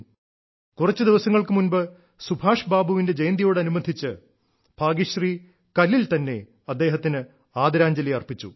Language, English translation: Malayalam, A few days ago, on the birth anniversary of Subhash Babu, Bhagyashree paid him a unique tribute done on stone